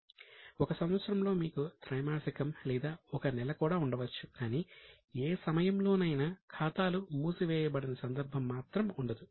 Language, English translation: Telugu, Within one year you can have a quarter or a month but we cannot have some system where accounts are not closed at any point of time